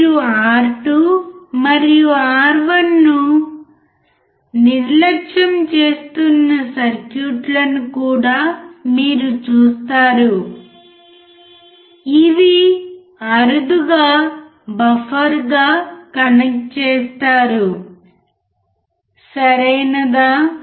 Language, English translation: Telugu, But you will also see circuits where you are neglecting R2 and R1, rarely connect as a buffer, alright